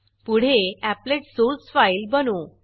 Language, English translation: Marathi, The Applet source file opens in the source editor